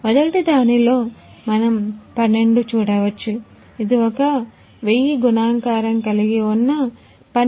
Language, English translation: Telugu, In first one we can see 12 where the multiplication factors is thousands